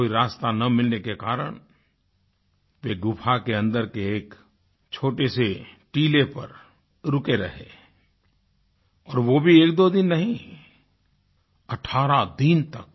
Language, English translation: Hindi, Not able to find a way out, they perched themselves a top a mound inside the cave; not for a day or two, but an entire 18 days